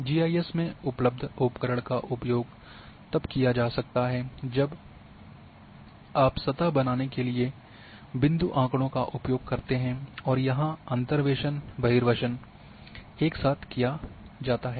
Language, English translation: Hindi, So,the tools which are available in GIS can be used when you go for using point data to create surface and these interpolation extrapolation are done simultaneously